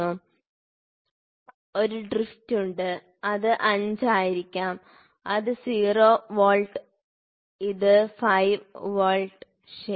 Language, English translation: Malayalam, So, there is a drift may be this might be 5, this is 0 volts, this is 5 volts, ok